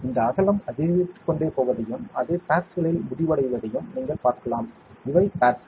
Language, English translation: Tamil, You can see that these that width will keep on increasing and it will end up in pads, these are pads